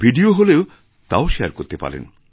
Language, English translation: Bengali, If it is a video, then share the video